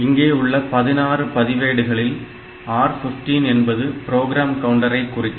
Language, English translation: Tamil, Out of this 16 registers R 15 is the program counter ok